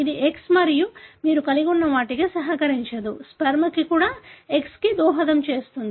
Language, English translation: Telugu, It did not contribute an X and what you had; also the sperm contributed an X and so on